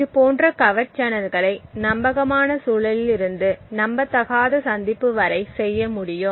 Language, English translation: Tamil, Such kind of covert channels can be done from a trusted environment to the untrusted appointment